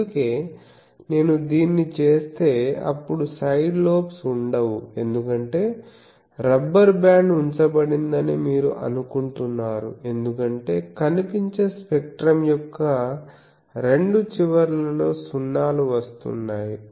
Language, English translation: Telugu, That is why the whole thing if I can do this, then there are no side lobes because you think a rubber band has been put the 0s are coming at that two ends of the visible spectrum